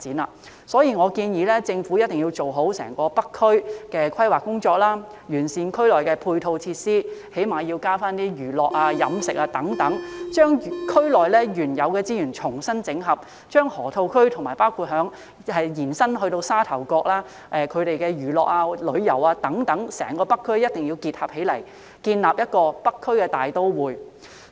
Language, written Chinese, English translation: Cantonese, 因此，我建議政府一定要做好整個北區的規劃工作，完善區內的配套設施，起碼要增設一些娛樂、飲食等設施，將區內原有的資源重新整合，將河套區與包括延伸至沙頭角在內的整個北區的娛樂、旅遊等設施結合起來，建立"北區大都會"。, Therefore I suggest that the Government must draw up a good planning for the entire North District improve the supporting facilities in the Loop provide at least some more entertainment catering and other facilities there reconsolidate the existing resources in the district and combine entertainment tourism and other facilities in the Loop with those of the entire North District including Sha Tau Kok to form a North District Metropolis